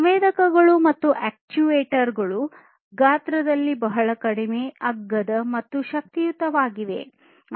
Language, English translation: Kannada, These sensors and actuators are very small in size and they are also powerful